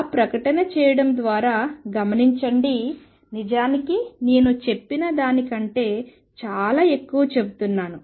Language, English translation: Telugu, Notice by making that statement I am actually saying much more than what I just state it